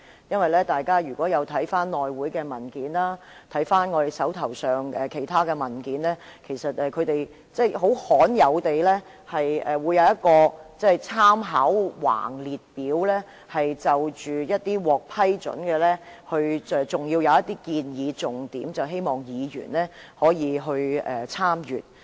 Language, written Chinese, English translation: Cantonese, 如果大家翻看內務委員會的文件和我們手上的其他文件，會看到一張很罕有的供參考的橫列表，載列獲批准提出的修訂，還有一些建議重點，供議員參閱。, If we look at the documents of the House Committee and the other ones in our hands we will see a rare list for reference . It sets out the amendments ruled admissible together with some salient points suggested for Members information